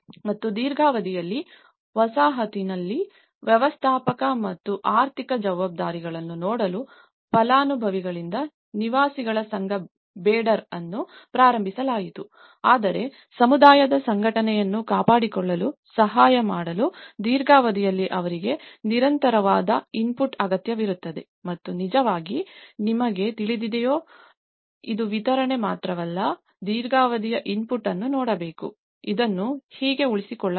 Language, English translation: Kannada, And also a Residents Association Beyder was started by the beneficiaries to see the managerial and financial responsibilities of the settlement, in the long run, aspect but then still they need the sustained input over the long term to help maintain the organization of the community and this has actually you know, why it’s not only a delivery but one has to look at the long term input, how this could be sustained